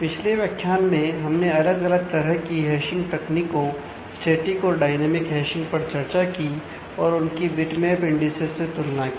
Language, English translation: Hindi, We have in the last module discussed about different hashing techniques static and dynamic and compare that in introduce bitmap indices